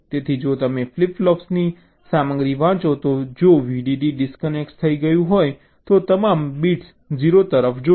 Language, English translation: Gujarati, so if vdd is disconnected, if you read out the contents of the flip flops, all of the bits will be looking at zero